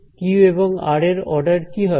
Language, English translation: Bengali, q and r what will their order be